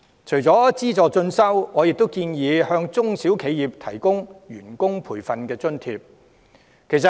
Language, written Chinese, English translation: Cantonese, 除了資助進修，我亦建議向中小企提供員工培訓津貼。, In addition to subsidizing continuing education I have also suggested providing SMEs with staff training allowance